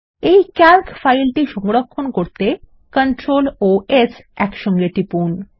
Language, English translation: Bengali, Lets save this Calc file by pressing CTRL and S keys together